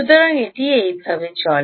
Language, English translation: Bengali, so it goes, goes on like this